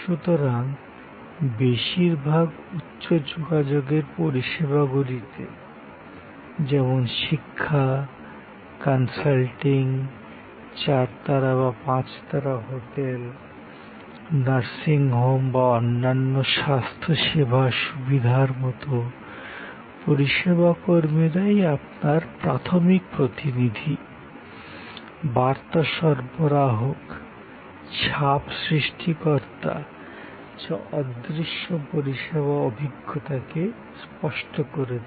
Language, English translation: Bengali, So, in most high contact services, like education, like consultancy, like a four star, five star hotel, like a nursing home or other health care facilities, the service personnel at the primary ambassadors, message conveyors, impression creators, which tangibles the intangible which is the service experience